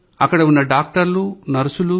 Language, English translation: Telugu, But the doctors and nurses there…